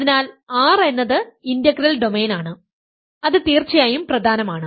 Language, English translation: Malayalam, So, R is integral domain is of course, important